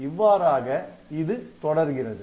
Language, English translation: Tamil, So, this way it will go on